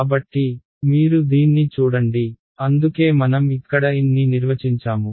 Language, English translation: Telugu, So, you see this that is why I defined this n over here